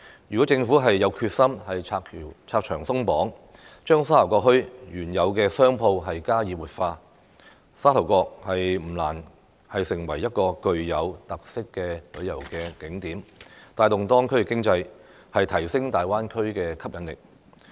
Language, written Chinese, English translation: Cantonese, 如果政府有決心拆牆鬆綁，將沙頭角墟原有的商鋪加以活化，沙頭角不難成為具有特色的旅遊景點，帶動當區的經濟，提升大灣區的吸引力。, If the Government is determined to remove various restrictions to revitalize the existing stores in Sha Tau Kok Town there should be no difficulty for Sha Tau Kok to become a distinctive tourist attraction which will in turn give impetus to the local economy and enhance the attractiveness of the Greater Bay Area